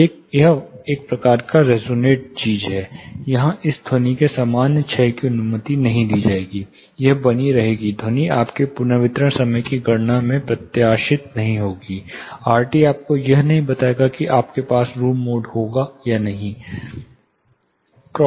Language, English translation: Hindi, This is the kind of resonant thing, where it will not allow normal decade of sound, it will persists the sound, will not be decaying down, as anticipated in your reverberation time calculation RT will not tell you, whether you will have room mode or not